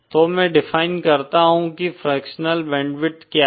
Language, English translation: Hindi, So let me define what is fractional band width